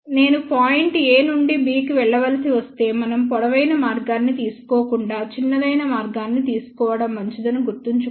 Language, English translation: Telugu, Remember if I have to go from point a to b, it is better that we take the shortest path rather than taking the longest path